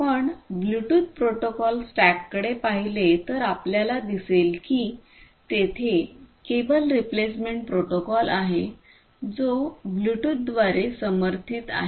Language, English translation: Marathi, If you look at the Bluetooth stack, protocol stack, you will see that there is a cable replacement protocol that is supported by Bluetooth